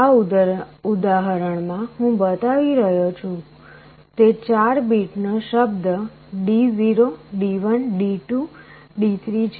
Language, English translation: Gujarati, In this example, I am showing it is a 4 bit word D0 D1 D2 3